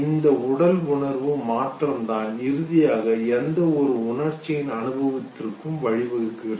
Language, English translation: Tamil, And it is this bodily sensation the change there that finally leads to the experience of or give any emotion